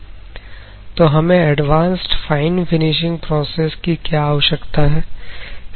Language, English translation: Hindi, So, why advanced fine finishing process is required